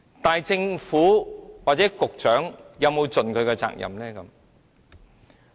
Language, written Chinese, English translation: Cantonese, 但是，政府或局長，有沒有盡他們的責任呢？, But have the Government and the Secretary ever fulfilled the responsibilities placed on them?